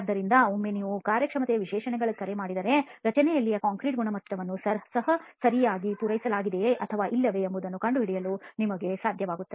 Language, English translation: Kannada, So once you call for performance specifications you will then be able to ascertain whether the concrete quality in the structure is also being met properly or not